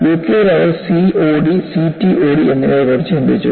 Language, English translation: Malayalam, In the UK, they were talking about COD and CTOD